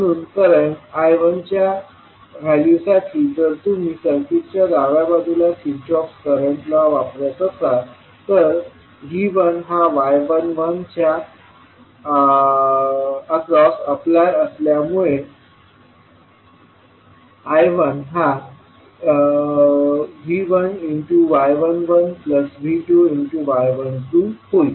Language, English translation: Marathi, So, if you see the value of current I 1 if you if you use Kirchhoff’s current law in the left side of the circuit, so I 1 will be since V 1 is applying across y 11, it will become V 1 into Y 11 plus so this will be the value of current flowing through this and the value of current flowing through this is y 12 V 2